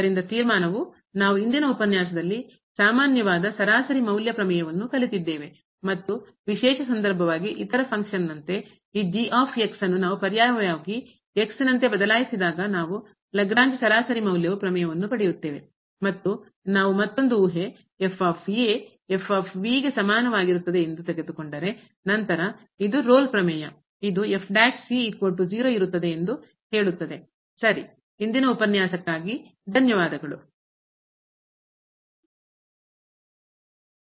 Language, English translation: Kannada, So, the conclusion for today’s lecture that we have learnt the generalize mean value theorem and as a special case when we substitute this the other function the second function as , we will get the Lagrange mean value theorem and if we take another assumption that is equal to then this will be the Rolle’s theorem which says that prime is equal to , ok